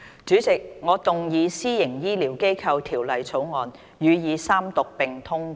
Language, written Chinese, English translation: Cantonese, 主席，我動議《私營醫療機構條例草案》予以三讀並通過。, President I move that the Private Healthcare Facilities Bill be read the Third time and do pass